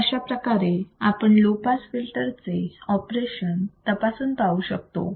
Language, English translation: Marathi, So, thus the operation of a low pass filter can be verified